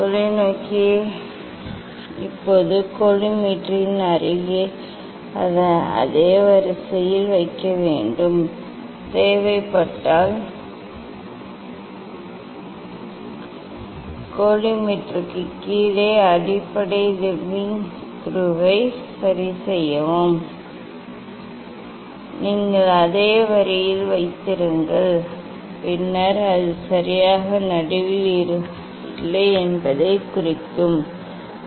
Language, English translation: Tamil, place the telescope in same line of the collimator now, adjust the base leveling screw below the collimators if necessary, you keep in same line and then, if you see that it is not exactly in middle it need to adjust slightly